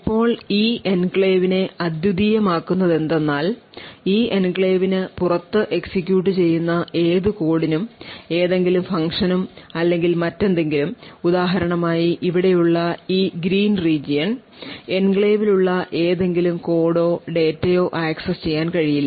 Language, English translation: Malayalam, Now what makes this enclave unique is that any code, any function or anything which is executing outside this enclave for example in this green region over here will not be able to access any code or data present within the enclave